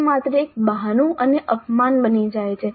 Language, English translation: Gujarati, That becomes only an excuse and a disservice